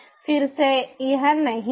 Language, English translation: Hindi, again, it is not